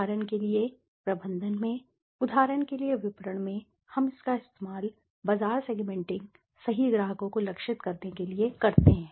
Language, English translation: Hindi, For example, in management, in marketing for example we use it for segmenting the market, to target the right customers right